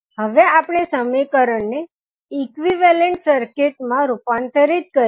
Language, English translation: Gujarati, We will convert these equations into an equivalent circuit